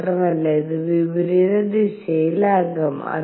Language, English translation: Malayalam, Not only that it could be in the opposite direction